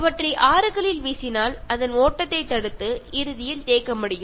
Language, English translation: Tamil, Throwing them in rivers can block the flow and eventually make them stagnant